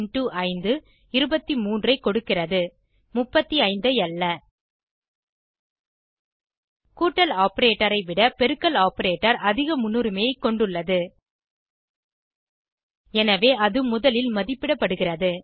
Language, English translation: Tamil, For example 3 + 4 * 5 returns 23 and not 35 The multiplication operator (*) has higher precedence than the addition operator (+) and thus will be evaluated first